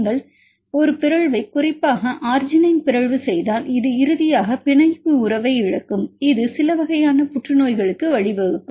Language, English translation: Tamil, If you make a mutation specifically arginine mutation this will loss the binding affinity finally, it may lead to certain types of cancers